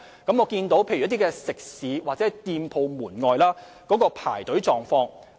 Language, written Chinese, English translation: Cantonese, 我了解一些食肆或店鋪門外排隊的狀況。, I have learnt about the queuing arrangement of certain restaurants or shops